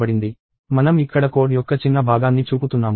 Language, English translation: Telugu, So, I am showing a small segment of a code here